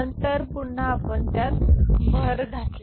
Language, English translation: Marathi, Then again you add it up